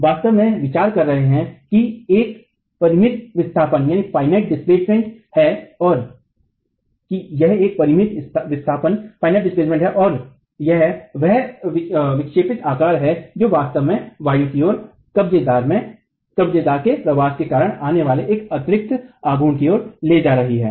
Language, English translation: Hindi, We are actually considering that there is a finite displacement and it is that deflected shape which is actually leading us to an additional moment coming because of the migration of the hinge towards the levered side